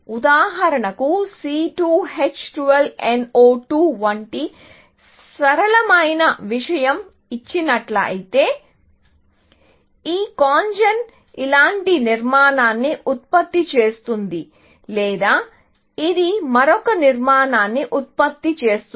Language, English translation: Telugu, For example, given a simple thing like C 2 H 12 NO 2, this CONGEN would produce a structure like this, or it would produce another structure